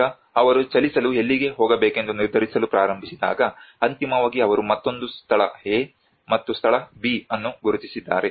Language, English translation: Kannada, Now when they start deciding to move, where to move, so finally they have identified another place A and place B